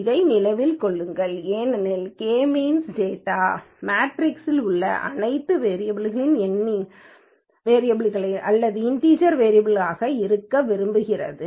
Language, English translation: Tamil, Keep this in mind because the K means wants all the variables in the data matrix as the numeric variables or integer variables